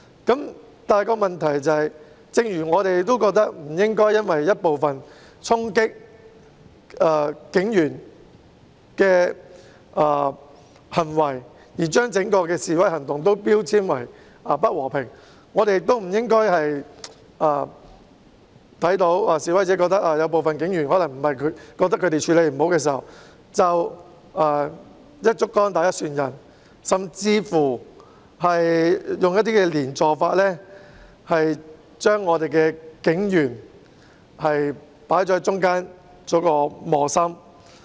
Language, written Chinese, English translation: Cantonese, 不過，正如我們認為不應該因為一部分衝擊警員的行為而將整個示威行動標籤為不和平，那麼我們亦不應該在看到示威者認為部分警員處理不善時，便"一竹篙打一船人"，甚至採用"連坐法"，將警員放在中間，令他們成為磨心。, However just as we believe that we should not label the entire demonstration as not peaceful because of some acts of attacking the police officers by the same logic we should not paint all people with the same brush once noting that the protesters consider that some police officers have handled the problems unsatisfactorily and even apply implication on all police officers and place them between a rock and a hard place